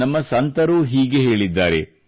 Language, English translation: Kannada, Our saints too have remarked